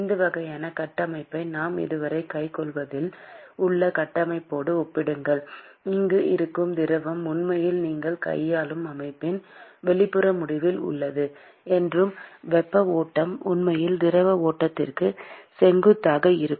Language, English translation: Tamil, Compare this kind of a structure with the structure that we had dealt with so far, where the fluid which is being which is flowing is actually at the outer end of the system that you are dealing with; and the flow of heat is actually in the direction perpendicular to that of the fluid flow